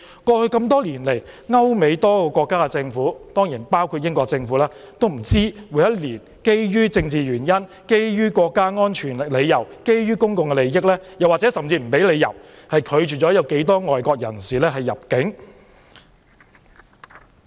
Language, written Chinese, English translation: Cantonese, 過去多年來，歐美多個國家的政府——當然包括英國政府——基於政治原因、國家安全理由或公眾利益，甚至有可能不予任何理由，每年不知道拒絕多少名外國人士入境。, Over the years the governments of various countries in Europe and America―certainly including the British Government―refused the entry of an unknown number of foreigners for political reasons or out of consideration for national security or public interests . No reasons whatsoever were offered in certain cases